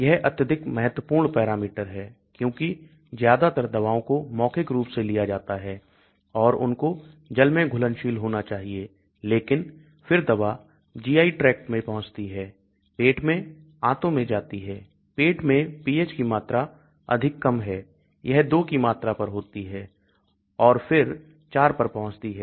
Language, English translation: Hindi, This is a very important parameter because most of the drugs are taken orally and they have to be water soluble but then as the drug reaches the GI tract, goes to the stomach, intestine, the pH in the stomach is extremely low, a value of 2 and then it rises to a value of 4